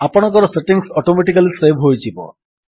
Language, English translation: Odia, Your settings will be saved, automatically